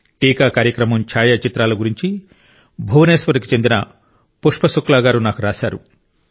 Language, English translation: Telugu, Pushpa Shukla ji from Bhubaneshwar has written to me about photographs of the vaccination programme